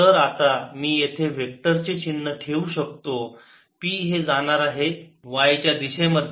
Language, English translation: Marathi, ok, so now i can put the vector sign p is going to be in the y direction